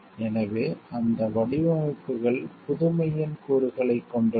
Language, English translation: Tamil, So, those designs which carry an element of newness